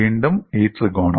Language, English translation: Malayalam, Again, this triangle